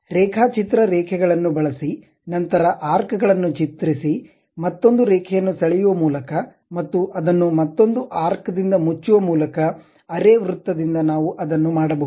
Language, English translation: Kannada, We can use same kind of thing by using drawing lines, then drawing arcs, again drawing a line and closing it by arc also, semi circle, we can do that